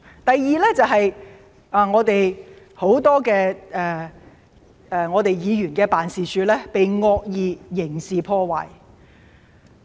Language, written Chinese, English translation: Cantonese, 第二點就是很多議員辦事處也被惡意刑事破壞。, The second point is that the offices of many District Council Members were subject to malicious criminal damage